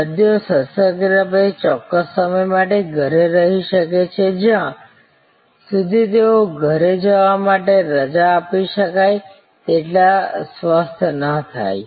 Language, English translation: Gujarati, The patients could be in house for a certain time after surgery till they were well enough to be discharged to go home